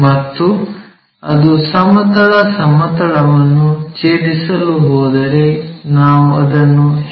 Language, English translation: Kannada, And if it is going to intersect the horizontal plane we call that one as HT point